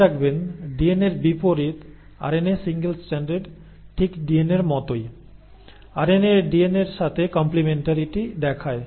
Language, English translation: Bengali, Now remember, unlike DNA, RNA is single stranded but just like DNA, RNA shows complementarity with DNA